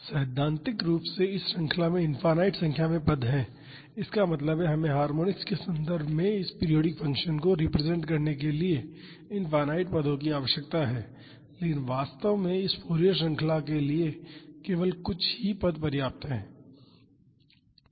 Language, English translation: Hindi, Theoretically this series has infinite number of terms; that means, we need infinite terms to represent this periodic function in terms of harmonics, but in reality only a few terms are sufficient for this Fourier series